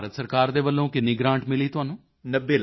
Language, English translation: Punjabi, So how much grant did you get from the Government of India